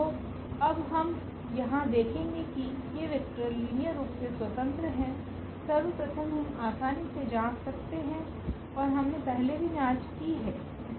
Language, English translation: Hindi, So now, we will notice here that these vectors are linearly independent; first that we can easily check out and we have I think checked before as well